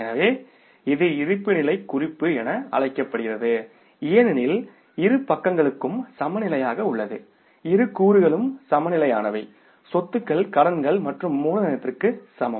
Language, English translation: Tamil, So, this is called as the balance sheet because both the sides are balanced, say balances are balanced, assets are equal to the liabilities plus capital